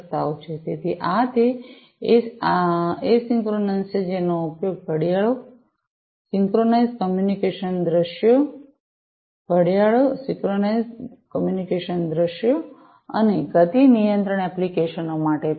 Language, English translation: Gujarati, So, this is this isochronous one are used for clocks synchronized communication scenarios, clocks synchronized communication scenarios, and are suitable for motion control applications